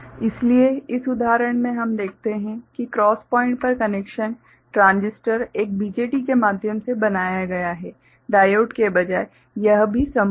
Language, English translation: Hindi, So, here in this example we show that the connection at the cross point is made through transistor, a BJT, instead of diode that is also possible